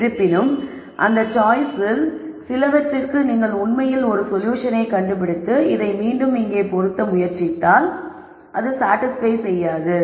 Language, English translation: Tamil, However, for some of those choices when you actually find a solution and try to plug this back into this right here it might not satisfy this